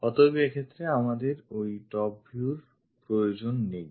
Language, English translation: Bengali, So, we do not really require that top view in this case